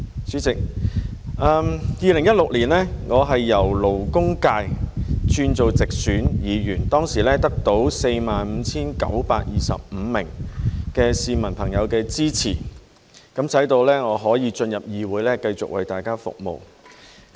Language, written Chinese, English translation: Cantonese, 主席 ，2016 年我由勞工界議員轉任直選議員，當時得到 45,925 名市民朋友的支持，使我可以進入議會繼續為大家服務。, President when I turned from a Member for the labour functional constituency to one returned by direct election in 2016 I received the support of 45 925 members of the public and friends which allowed me to join the Council to continue serving the public